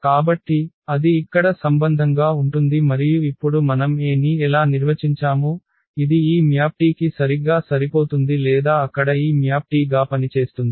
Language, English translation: Telugu, So, that will be the will be the relation here and how we define now the A which will be exactly corresponding to this map T or will function as this map T there